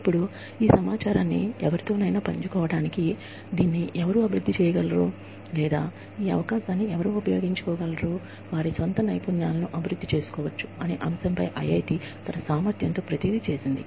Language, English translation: Telugu, Now, IIT did everything in its capacity, to share this information with anyone, who could develop this, or who could use this opportunity, to develop their own skills